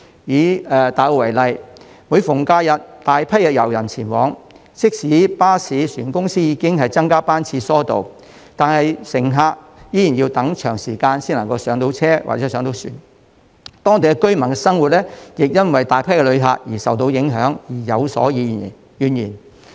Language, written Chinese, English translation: Cantonese, 以大澳為例，每逢假日便有大批遊人前往該處，即使巴士、船公司已增加班次疏導，乘客依然要等候一段長時間才能上車或上船，當地居民的生活因為大批旅客到訪而受影響，他們亦對此有所怨言。, Hordes of tourists will flock there during holidays . Even though the bus and ferry companies have increased the frequency of buses and ferries to ease the flow of passengers passengers still need to wait for a long time before they can go aboard . The massive influx of visitors has also affected the daily lives of the local residents causing them to complain about it